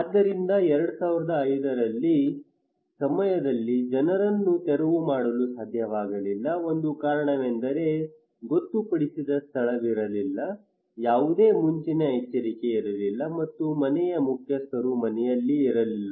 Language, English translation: Kannada, So people could not evacuate during 2005 one reason that there was no designated place there was no early warning and the head of the household was not at house